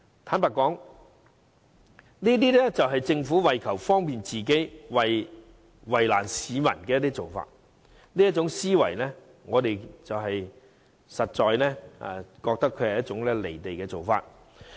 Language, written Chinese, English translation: Cantonese, 坦白說，這是政府為求方便自己，卻為難市民的做法，這思維實在"離地"。, Honestly this practice is adopted for the convenience of the Government but at the expense of the public . This mentality is really impractical